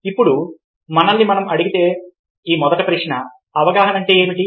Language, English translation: Telugu, now, the first question we will ask our self is: what is perception